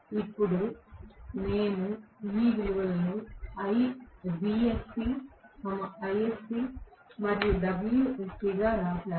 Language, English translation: Telugu, That’s why I have written these values as vsc, isc and wsc